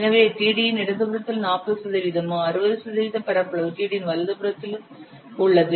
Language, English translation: Tamil, So, 40% lies to the left of this point TD and 60% area lies to the right of this point TD